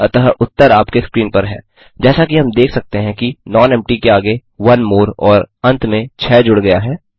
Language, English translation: Hindi, So, the solution is on your screen As we can see nonempty is appended with onemore and 6 at the end